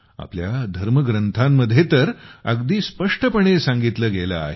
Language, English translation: Marathi, It is clearly stated in our scriptures